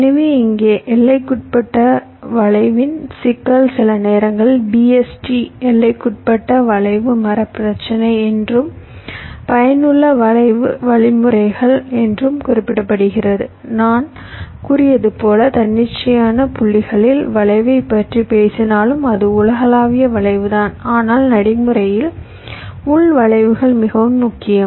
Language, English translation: Tamil, fine, so here the problem with bounded skew is sometimes referred to as bst bounded skew, tree problem, and useful skew means, as i had said, that although we talked about skew across arbitrary points, it is the global skew, but in practice, local skews is more important